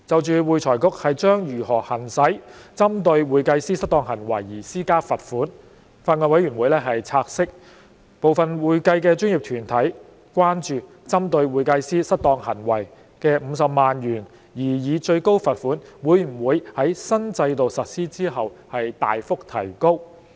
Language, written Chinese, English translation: Cantonese, 就會財局將如何行使針對會計師失當行為而施加罰款，法案委員會察悉，部分會計專業團體關注，針對會計師失當行為的50萬元擬議最高罰款會否在新制度實施後大幅提高。, Regarding how AFRC will exercise its power of imposing pecuniary penalties on misconduct committed by CPAs the Bills Committee notes the concerns expressed by some accounting professional bodies that whether the proposed maximum pecuniary penalty of 500,000 for CPA misconduct will be substantially increased after implementation of the new regime